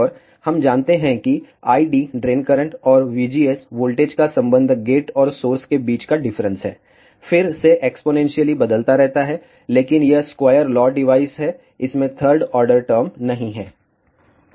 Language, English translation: Hindi, And we know that, the relation between I D drain current, and the V GS the voltage difference between the gate and the source, again varies exponentially, but this is the square law device, it does not contain a third order term